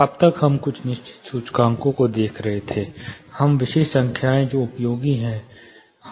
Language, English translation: Hindi, So, far we have been looking at certain indices, now specific numbers which are useful